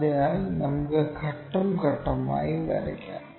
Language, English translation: Malayalam, So, let us draw that step by step